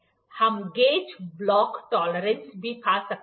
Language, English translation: Hindi, We can also find the gauge block tolerance